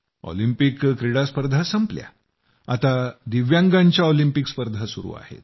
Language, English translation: Marathi, The events at the Olympics are over; the Paralympics are going on